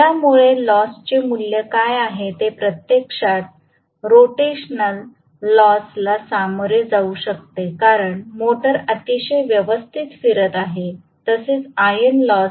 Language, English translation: Marathi, This will give what is the value of the losses which can consist of actually rotational losses because the motor is rotating very clearly plus iron losses, right